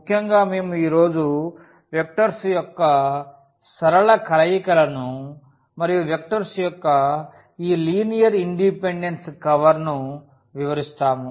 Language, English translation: Telugu, In particular, we will cover today the linear combinations of the vectors and also this linear independence of vectors